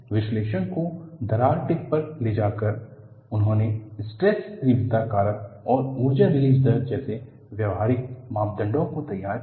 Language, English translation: Hindi, By moving the analysis to the crack tip, he devised workable parameters like stress intensity factor and energy release rate